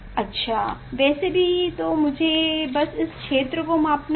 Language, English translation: Hindi, So anyway, so let me just take out this field that